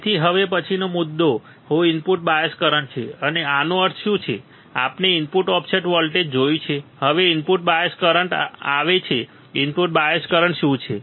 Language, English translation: Gujarati, So, what is the next point next is input bias current now what does this mean we have seen input offset voltage now it comes input bias current what is input bias current